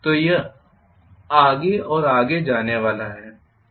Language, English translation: Hindi, So this is going to go further and further